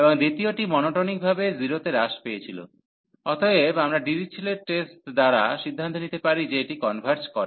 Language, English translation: Bengali, And the second one was monotonically decreasing to 0, therefore we could conclude with the Dirichlet test that this converges